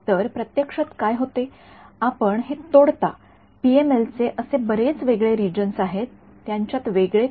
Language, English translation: Marathi, So, this in practice what happens is you break up this there are these many distinct regions of the PML what is distinct about them